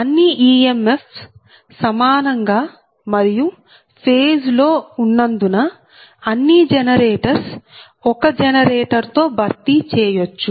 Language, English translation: Telugu, right, and since all the e m fs are equal and in phase, all the generators can be replaced by a single generator right